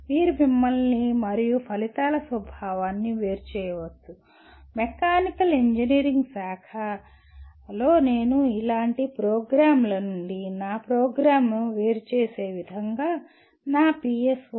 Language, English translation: Telugu, You can differentiate yourself and the nature of outcomes from let us say that branch of mechanical engineering I can write it in such a way I differentiate my program from similar programs through my PSOs